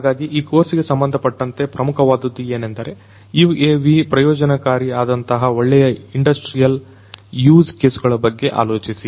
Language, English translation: Kannada, So, what is important is in the context of this particular course, think about good industrial use cases where UAVs can be of benefit